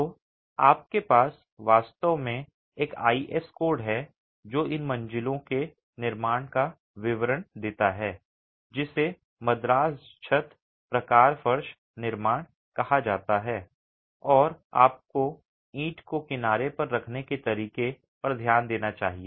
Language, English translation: Hindi, So, you have actually an IS code that details the construction of these floors called Madras Terrace type floor construction and you must pay attention to the way the brick is laid on edge and the way it is constructed, it's a unique process in which this floor is constructed